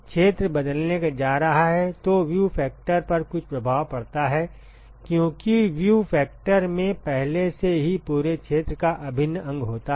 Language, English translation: Hindi, The area is going to change then there is some effect on the view factor because, the view factor already contains the integral over the whole area right